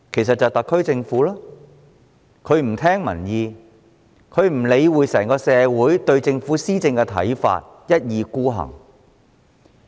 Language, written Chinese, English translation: Cantonese, 答案是特區政府，因為它不聽民意，不理會整體社會對政府施政的看法，一意孤行。, It is the SAR Government which has turned a deaf ear to public opinions ignored the overall views of the community on the governance of the Government and insisted on having its own way